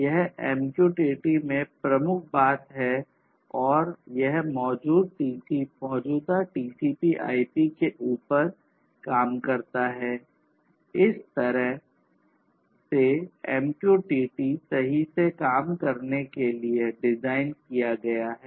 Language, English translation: Hindi, This is the key thing over here in MQTT and this works on top of the existing TCP/IP, the way MQTT has been designed to work right